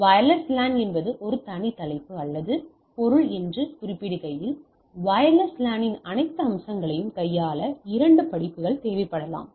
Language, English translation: Tamil, Again as I mention that the wireless LAN is a separate topic or subject all together may be it requires couple of courses to handle the all aspects of wireless LAN